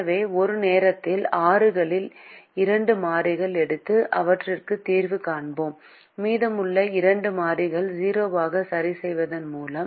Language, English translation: Tamil, so at a time we take two variables out of the six and solve for them by fixing the remaining two variables to zero